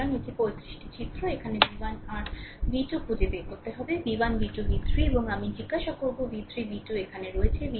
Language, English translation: Bengali, So, this is the 35 figure, you have to find out v 1 your v 2 here, I have asking v 1, v 2, v 3 and I, v 3, v 2 is here